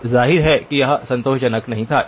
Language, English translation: Hindi, Now obviously it was not satisfactory